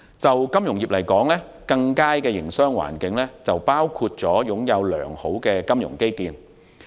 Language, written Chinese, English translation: Cantonese, 對金融業而言，更佳的營商環境包括擁有良好的金融基建。, Infrastructure is important . For the financial industry a better business environment means good financial infrastructure among other things